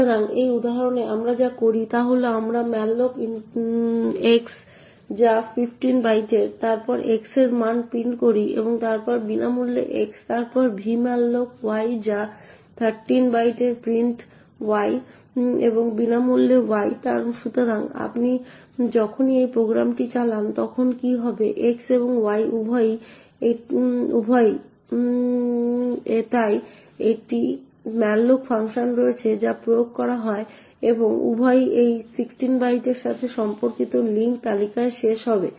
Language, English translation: Bengali, So in this example what we do is we malloc x which is of 15 bytes then print the value of x and then free x then v malloc y which is of 13 bytes print y and free y, so what happens when you execute this program is that both x as well as y, so there is a malloc function which gets applied and both of them would end up in the link list corresponding to this 16 bytes, so when this particular malloc gets executed totally a chunk of 16 bytes plus another 8 bytes gets allocated and the pointer to that memory is present in x, so when this free gets invoked the chunk gets added to the link list corresponding to the fast bin of 16 bytes